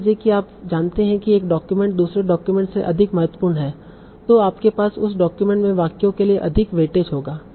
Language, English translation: Hindi, Suppose you know one document is more important than another document, you will have more weightage for that sentence from the document